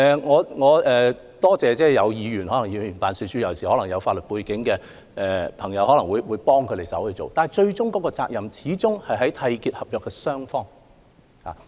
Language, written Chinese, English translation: Cantonese, 我要多謝各位議員，特別是一些有法律背景的議員可能會提供協助，但責任始終在於締結合約的雙方。, I would like to thank Members especially those with a legal background who might have provided assistance to these people . However at the end of the day the responsibility lies with the contracting parties